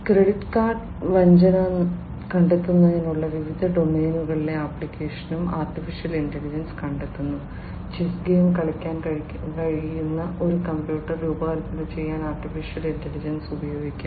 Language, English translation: Malayalam, AI finds the application in different domains in for credit card fraud detection AI could be used, AI could be used for designing a computer, which can play the game of chess